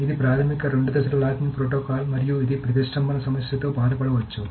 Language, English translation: Telugu, So, this is the basic two phase locking protocol and it may simply suffer from the problem of deadlock